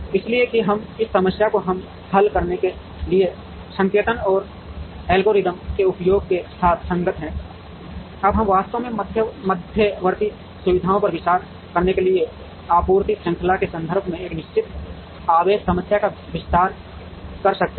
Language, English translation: Hindi, So, that we are consistent with the notation and the use of the algorithms to solve this problem, now we can actually expand this fixed charge problem in the context of a supply chain to consider intermediate facilities also